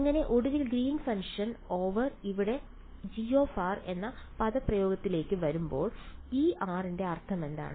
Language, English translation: Malayalam, So, finally, by the time I come to the expression for Green’s function over here G of r, what is the meaning of this r